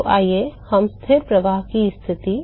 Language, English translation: Hindi, So, let us take constant flux condition